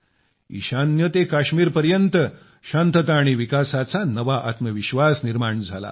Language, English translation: Marathi, A new confidence of peace and development has arisen from the northeast to Kashmir